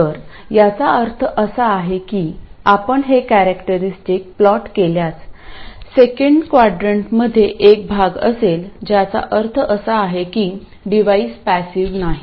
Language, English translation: Marathi, So this means that if you plot this characteristic there will be a part in the second quadrant which means that the device is not passive